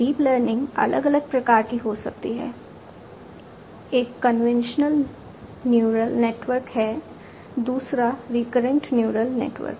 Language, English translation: Hindi, Deep learning can be of different types: convolutional neural network is one, a recurrent neural networks is another